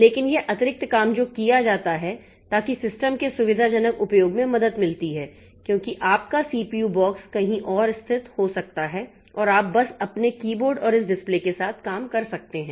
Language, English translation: Hindi, But this extra thing that is done, so that helps in convenient usage of the system because your CPU box may be located somewhere else and you can just be operating with your keyboard and this display that you have